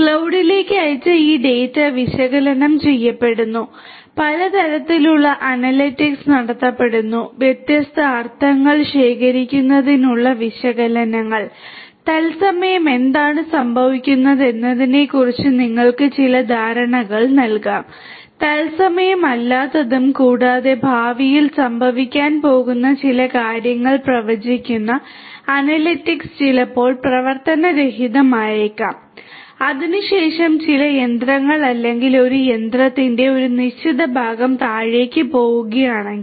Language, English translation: Malayalam, So, this data that are sent to the cloud are analyzed, lot of different types of analytics are performed, analytics to gather different meaning analytics which will give you some idea about what is going on at present real time maybe non real time as well and analytics which will predict certain things that are going to happen in the future maybe the downtime the maybe the time after which if certain machine or a certain part of a machine is going to go down